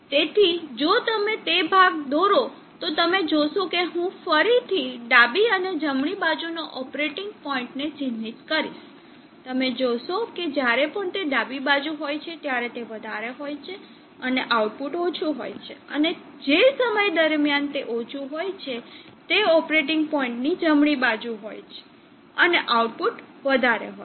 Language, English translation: Gujarati, So if you drop that portion you will see that I will again mark left and right left operating point, and right operating point, you will see that there is an inversion whenever it is high during the left side it is high output will be low, and during the time when it was low and it was right side of the operating point it becomes high